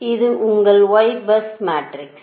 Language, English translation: Tamil, so this is your y bus matrix, right, and it is a symmetric matrix